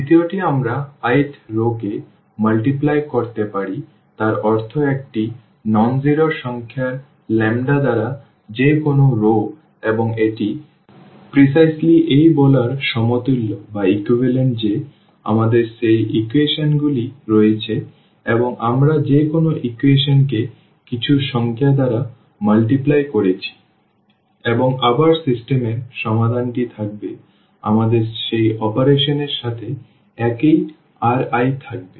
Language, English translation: Bengali, The second one we can multiply the i th row means any row by a nonzero number lambda and this is precisely equivalent to saying that we have those equations and we are multiplying any equation by some number and again that system the solution of the system will remain we remain the same with that operation